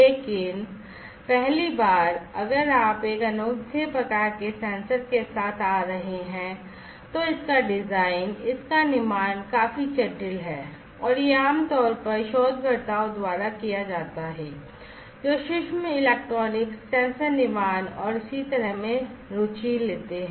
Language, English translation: Hindi, But for the first time if you are coming up with a unique type of sensor the designing of it and fabrication of it is quite complex and is typically done by researchers, who take interest in micro electronics, sensor fabrication, and so on that is completely different